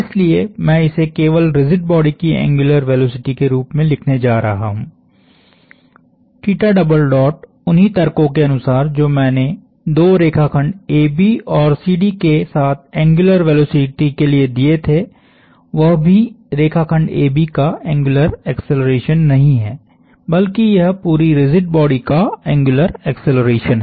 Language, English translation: Hindi, So, I am simply going to write this as angular velocity of the rigid body; theta double dot following the same arguments that I gave with two line segments AB and CD for the angular velocity is also not the angular acceleration of the line segment AB, but it is the angular acceleration of the entire rigid body